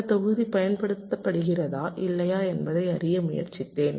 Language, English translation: Tamil, i tried to find out whether or not that block is being used